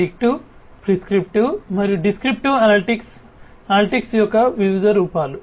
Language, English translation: Telugu, Predictive, prescriptive, and descriptive analytics are different forms of analytics